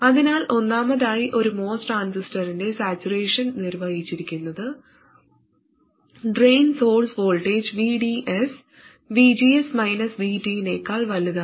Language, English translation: Malayalam, So first of all, saturation region of a MOS transistor is defined by the drain source voltage VDS being greater than VGS minus VT